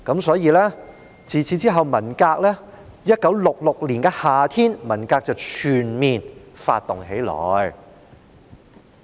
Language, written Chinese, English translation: Cantonese, 所以，在1966年的夏天，文革便全面發動起來。, Therefore in the summer of 1966 the Cultural Revolution was launched on all fronts